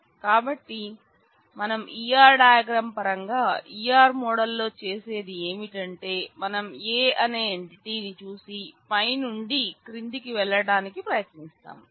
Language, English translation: Telugu, So, in terms of the E R diagram E R model what we do is we try to look at the entity A and move top down